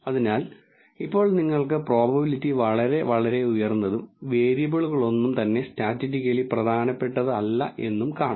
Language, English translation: Malayalam, So, now if you can see the probability is really really high and none of the variables are statistically significant